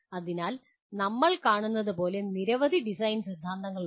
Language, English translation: Malayalam, So there are several design theories as we see